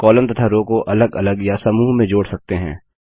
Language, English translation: Hindi, Columns and rows can be inserted individually or in groups